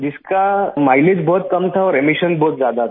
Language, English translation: Hindi, Its mileage was extremely low and emissions were very high